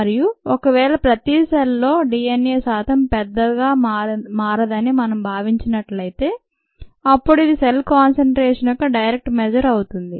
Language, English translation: Telugu, and if we assume that the percentage DNA per cell does not vary too much, then this becomes a direct measure of the cell concentration it'self